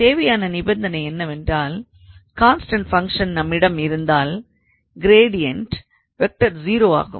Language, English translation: Tamil, So, the necessary condition is that if we have a constant function then the gradient would be 0